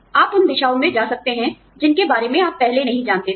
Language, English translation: Hindi, You could go in directions, that you did not know about, before